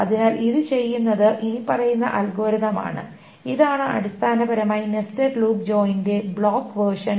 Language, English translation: Malayalam, So what it does is the following algorithm is for so this is essentially the block version of the nested loop join